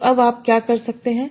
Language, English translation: Hindi, So now what you might do